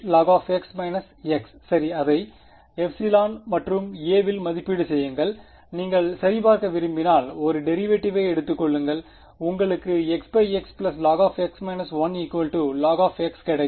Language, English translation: Tamil, X log x minus x ok, evaluate it at epsilon and a right, if you want to check just take a derivative you will get x into 1 by x plus log x minus 1, so, that is log x